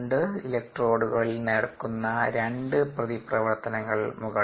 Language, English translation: Malayalam, these are two reactions that take place at the electrodes